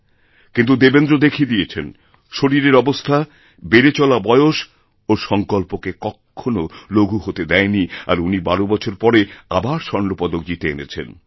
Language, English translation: Bengali, Yet, Devendra displayed that physical condition and increasing age could not dent his strong determination and he successfully claimed his second gold medal after a gap of 12 years